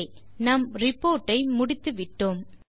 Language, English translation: Tamil, Okay, we are done with our Report